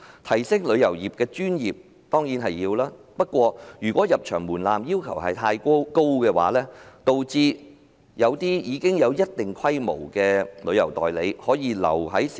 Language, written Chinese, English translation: Cantonese, 提升旅遊業的專業性當然重要，但如果入場門檻的要求過高，會導致一些有一定規模的旅行代理商壟斷市場。, Though it is certainly important to enhance professionalism of the travel industry if the entry threshold to the industry is too high the market will be monopolized by major some travel agents